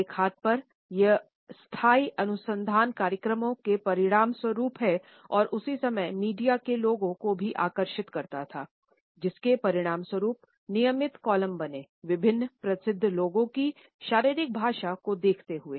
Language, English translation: Hindi, On one hand it resulted into sustainable research programs and at the same time it also attracted the media people resulting in regular columns looking at the body language of different famous people